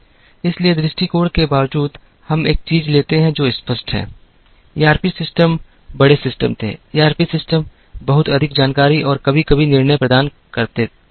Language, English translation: Hindi, So, irrespective of the approach, we take one thing that is clear is, ERP systems were large systems, ERP systems provided lot more information and sometimes decisions